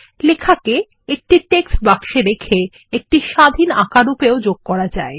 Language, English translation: Bengali, It can be inserted into a text box as an independent Draw object